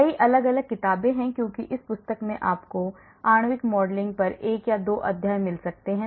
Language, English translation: Hindi, So, many different books are there, because in this book you may find 1 or 2 chapters on molecular modelling